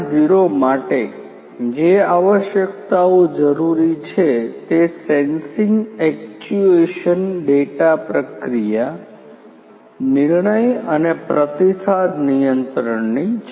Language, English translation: Gujarati, 0 requirements what is important is to have sensing actuation data processing decision making and feedback control